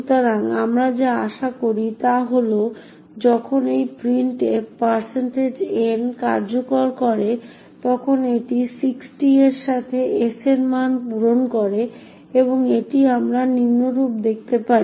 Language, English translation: Bengali, So what we do expect is that when a printf executes this %n it fills in the value of s with 60 and this we can see as follows